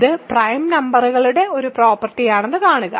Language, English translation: Malayalam, See this is a property of prime numbers